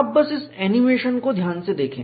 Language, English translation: Hindi, You just watch this animation carefully